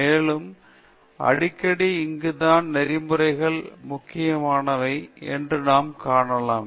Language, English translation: Tamil, And quite often we can see that here itself ethics becomes important